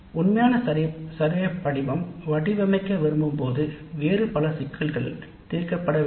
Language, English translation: Tamil, The actual survey form when we want to design, many other issues need to be resolved